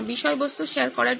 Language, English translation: Bengali, Sharing of the content